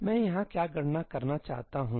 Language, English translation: Hindi, What am I wanting to compute over here